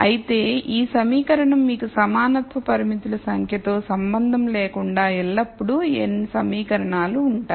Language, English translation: Telugu, However, this equation irrespective of the number of equality constraints you have will always be n equations